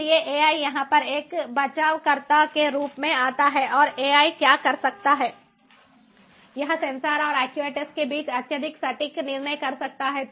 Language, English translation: Hindi, so ai come as a rescuer over here, and what ai can do is it can make highly accurate decision making possible between the sensors and the actuators